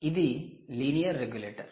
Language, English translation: Telugu, its a linear regulator